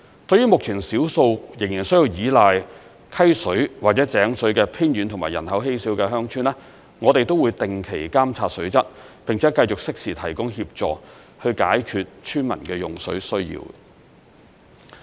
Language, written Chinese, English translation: Cantonese, 對於目前少數仍需依賴溪水或井水的偏遠及人口稀少的鄉村，我們也會定期監察水質，並且繼續適時提供協助，以解決村民的用水需要。, As for those few remote villages with sparse population which still rely on river water or well water we will regularly monitor their water quality and continue to provide timely assistance to address their water usage need